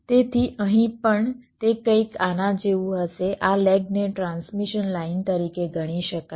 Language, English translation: Gujarati, so it will be something like this: these legs can be treated as transmission lines